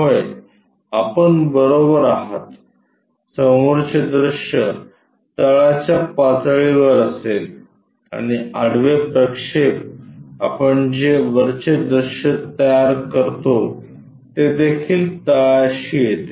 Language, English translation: Marathi, Yes, you are right the front view will be in the bottom level and the horizontal projection what we do constructing top view also that comes at bottom